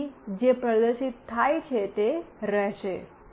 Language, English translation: Gujarati, So, whatever is displayed will remain